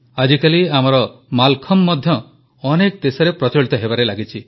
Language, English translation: Odia, Nowadays our Mallakhambh too is gaining popularity in many countries